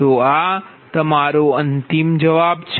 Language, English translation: Gujarati, so this is your final answer